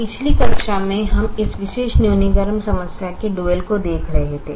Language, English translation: Hindi, in the last class, we were looking at the dual of this particular minimization problem